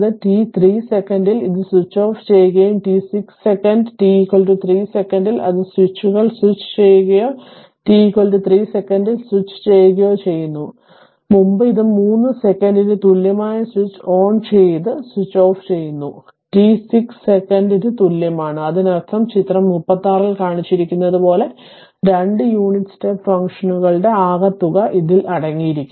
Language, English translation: Malayalam, A t 3 second it is switches off and t 6 second at t is equal to your 3 second, it is switching on switches or switches on at t is equal to 3 second, h ere it is it is switches on at t equal to 3 second and switches off at t equal to 6 second; that means, it consists of sum of 2 unit step functions as shown in figure 36